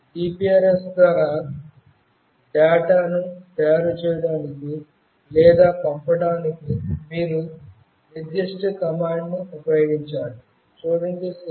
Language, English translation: Telugu, You have to use the particular command to make or send the data through GPRS